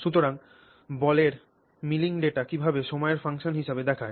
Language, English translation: Bengali, So, how does ball milling data look as a function of time